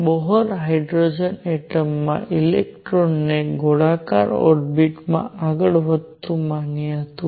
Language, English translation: Gujarati, The Bohr had considered electron in a hydrogen atom moving in a circular orbit